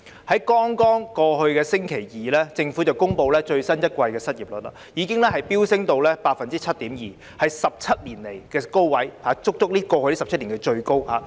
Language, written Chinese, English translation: Cantonese, 在剛過去的星期二，政府公布最新一季的失業率已經飆升至 7.2%， 是17年來的高位，是過去足足17年以來最高的數字。, Just last Tuesday the Government announced that the unemployment rate for the latest quarter had soared to 7.2 % hitting a record high in 17 years . That means it is the highest figure in the past 17 years